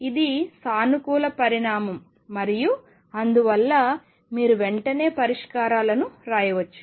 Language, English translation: Telugu, This is a positive quantity and therefore, you can immediately write the solutions